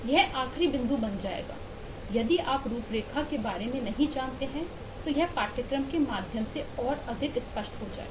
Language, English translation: Hindi, this last point would become: if you are not aware of frameworks, then this will become more clear as we go through the course